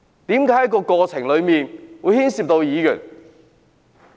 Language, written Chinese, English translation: Cantonese, 為何在過程中會牽涉議員？, Why are Members involved in the course of the event?